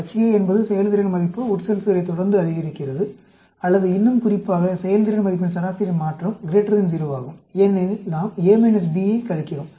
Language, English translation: Tamil, HA is performance scores improved following infusion, or more specifically, median change in performance score is greater than 0, because we are subtracting A minus B